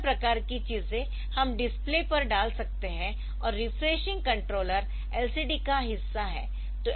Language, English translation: Hindi, So, all the different types of things we can put on to the in display and refreshing controller is part of LCD